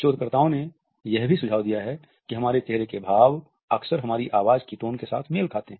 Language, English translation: Hindi, Researchers have also suggested that our facial expressions often match with the tonality of our voice